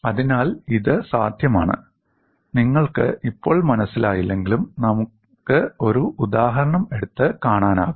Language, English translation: Malayalam, So, it is possible, although you may not understand right now, we can take up an example and see